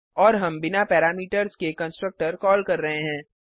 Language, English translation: Hindi, And we are calling a constructor without parameters